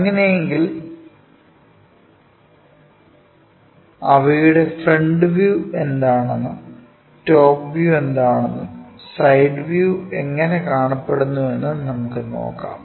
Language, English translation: Malayalam, Look at their projections like what is the front view, what is the top view, and how the side view really looks like